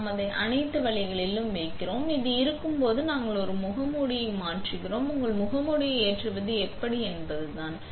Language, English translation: Tamil, We will place it all the way in and when it is in, we press change a mask and that is how you load your mask